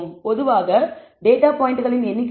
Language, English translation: Tamil, In general, depending on of number of data points this value 2